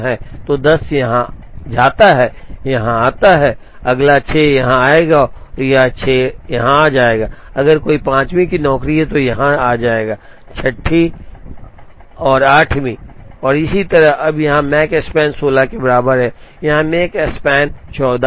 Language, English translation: Hindi, So, 10 goes here 8 comes here, the next 6 will come here and this 6 will come here, if there is a 5th job, it will go here, the 6th 7th 8th and so on, now here the Makespan is equal to 16, here the Makespan is 14